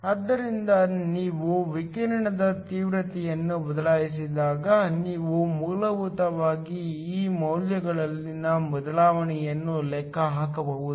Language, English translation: Kannada, So, when you change the radiation intensity, you can basically calculate the change in these values